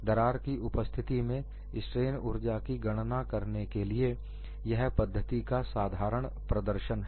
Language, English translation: Hindi, This is just to illustrate a simple calculation methodology to find out strain energy in the presence of a crack